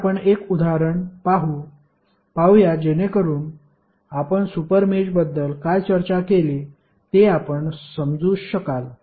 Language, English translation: Marathi, So, let us see one example so that you can understand what we discussed about the super mesh and larger super mesh